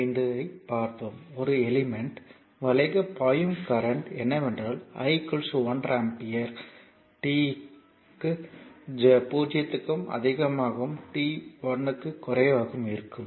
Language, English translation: Tamil, 5, the current flowing through an element is that i is equal to one ampere for t greater than 0 and t less than 1